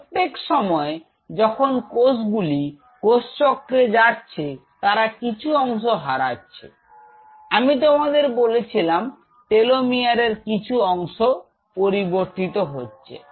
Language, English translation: Bengali, Every time a cell is going through this cycle it loses I told you part of it is telomere because telemeter is activity changes